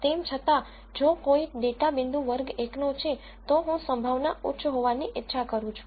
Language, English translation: Gujarati, However if a data point belongs to class 1, I want probability to be high